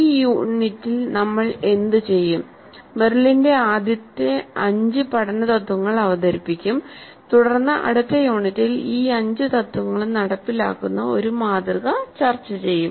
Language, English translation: Malayalam, What we will do in this unit is present merills the five first principles of learning and then discuss one model that implements all these five principles in the next unit